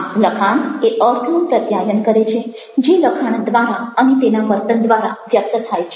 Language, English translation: Gujarati, texts can also communicate the meaning which is convert through the texts, through their behavior